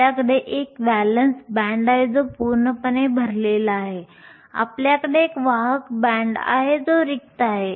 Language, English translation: Marathi, You have a valence band that is completely full you have a conduction band that is empty